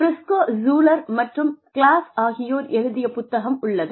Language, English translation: Tamil, There is this book by, Briscoe Schuler and Claus